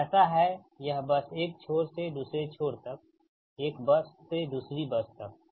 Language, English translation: Hindi, one end to another end, one bus to another bus